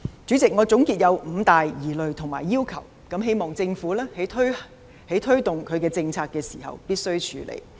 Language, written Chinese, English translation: Cantonese, 主席，我總結有五大疑慮及要求，希望政府推動政策時必須處理。, President altogether I have five key worries and requests that I hope the Government must deal with in taking forward the policies